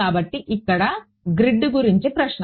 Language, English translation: Telugu, So, question about the grid over here